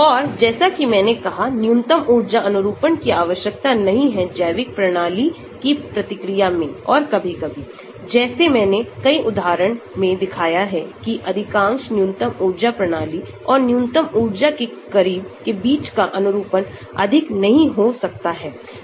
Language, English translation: Hindi, And as I said, the minimum energy conformation need not be the conformation which the biological system may be reacting and sometimes, like I showed many examples the conformation between the minimum most energy system and those closer to minimum energy might not be much